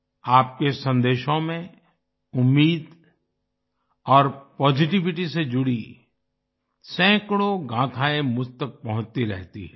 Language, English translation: Hindi, Hundreds of stories related to hope and positivity keep reaching me in your messages